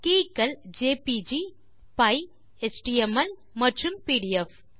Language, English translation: Tamil, The keys are jpg comma py comma html comma and pdf